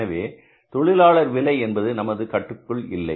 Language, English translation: Tamil, So, labor rate is not in the control, not in the hands of anybody